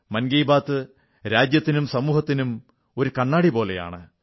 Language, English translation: Malayalam, 'Mann Ki Baat'is like a mirror to the country & our society